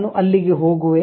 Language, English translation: Kannada, I go there